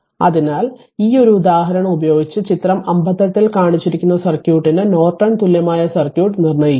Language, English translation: Malayalam, So, with this just one example, determine Norton equivalent circuit of the circuit shown in figure 58